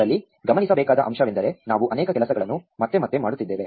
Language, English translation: Kannada, The point to note in this is that we are doing many things again and again